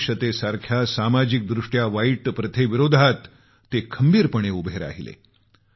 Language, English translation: Marathi, He stood firm against social ills such as untouchability